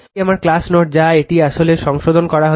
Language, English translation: Bengali, This is my class note everything it is corrected actually right